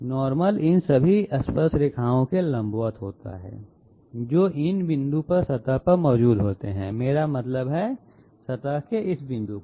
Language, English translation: Hindi, The normal happens to be perpendicular to all these tangents which are present here at the surface I mean to the surface at this point